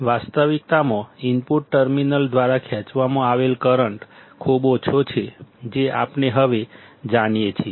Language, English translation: Gujarati, In reality, the current drawn by the input terminal is very small that we know that now